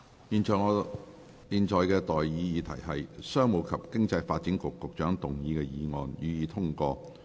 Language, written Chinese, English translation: Cantonese, 現在的待議議題是：商務及經濟發展局局長動議的議案，予以通過。, I now propose the question to you That the motion moved by the Secretary for Commerce and Economic Development be passed